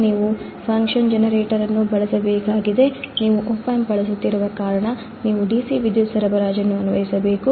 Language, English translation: Kannada, You have to use function generator, you have to apply a dc power supply because you are using an opamp